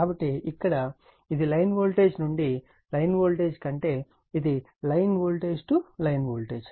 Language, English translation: Telugu, So, here it is with a line voltage of to your line voltage means, it is a line to line voltage right